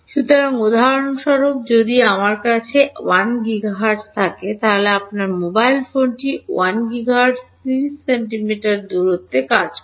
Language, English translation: Bengali, So, for example, if I have a 1 gigahertz your mobile phone works at 1 gigahertz 30 centimeters